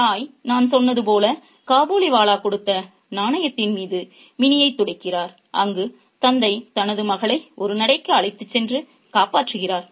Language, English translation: Tamil, The mother, as I said, child's mini over the coin given by the Kabiliwala, whereas the father saves her daughter, his daughter, by taking her for a walk